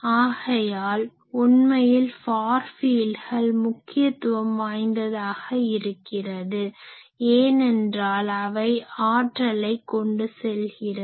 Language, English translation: Tamil, So, it also shows that actually far fields are important, because they are carrying power